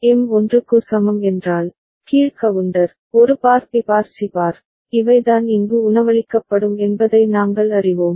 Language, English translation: Tamil, And for M is equal to 1, we know that the down counter, A bar B bar C bar, these are the ones that will be fed here